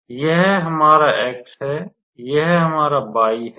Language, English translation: Hindi, So, this is our x; this is our y